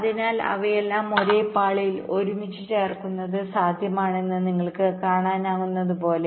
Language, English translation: Malayalam, so here, as you can see, that it is possible to put all of them together on the same layer